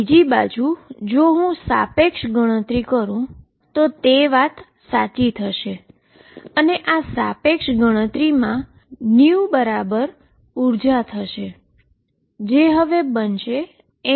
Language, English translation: Gujarati, On the other hand if I do a relativistic calculation right